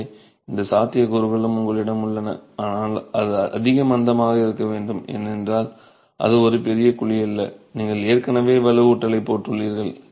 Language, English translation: Tamil, So, you have both these possibilities but it has to be high slump because mind you, it is not a, it is typically not a very large cavity and you've already put reinforcement there